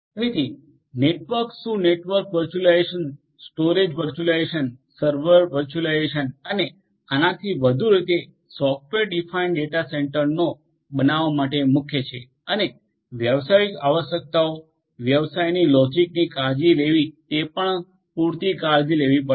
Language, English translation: Gujarati, So, network what network virtualization, storage virtualization, server virtualization and so on these are core to building software defined data centres and taking care of the business requirements business logic these also will have to be taken care of adequately